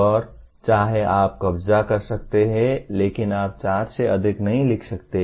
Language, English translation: Hindi, And whether you can capture but you cannot write more than four